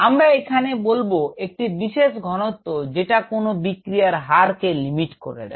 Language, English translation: Bengali, we will say that the concentration of which limits the extent of the reaction